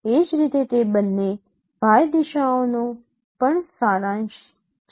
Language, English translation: Gujarati, Similarly those two along Y directions